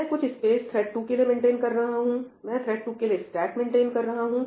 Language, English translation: Hindi, I maintain some space for thread 2, and I maintain the stack for thread 2